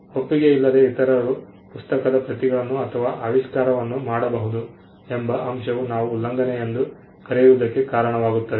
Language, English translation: Kannada, The fact that others who do not have as consent can make copies of the book or an invention would itself result to what we call infringement